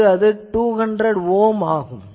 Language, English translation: Tamil, So, here it is showing that 200 Ohm